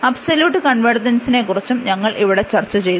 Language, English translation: Malayalam, And we have also discussed about the absolute convergence there